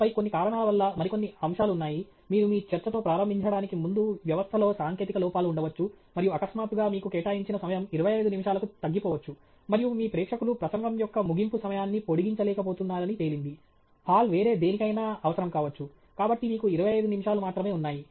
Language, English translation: Telugu, And then, for some reason, there is some other aspects, may be there are technical glitches in the system before you get started with your talk, and suddenly your down to 25 minutes, and it turns out that your audience is unable to extend the closing time of the talk, the hall is required for something else, so you have only 25 minutes